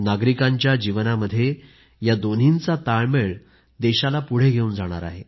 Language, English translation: Marathi, A balance between these two in the lives of our citizens will take our nation forward